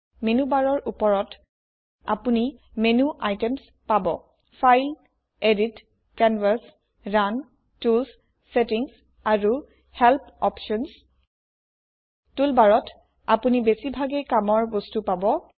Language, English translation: Assamese, In the menu bar on the top, You will find menu items File, Edit, Canvas, Run, Tools, Settings and help options In the tool bar, you can reach for most of the actions used